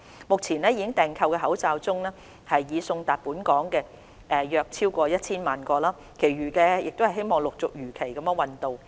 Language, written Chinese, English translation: Cantonese, 目前已訂購的口罩中，已送達本港的約超過 1,000 萬個，其餘的希望陸續如期運到。, Among the masks ordered more than 10 million have been delivered to Hong Kong . We hope that the remaining will arrive in batches as scheduled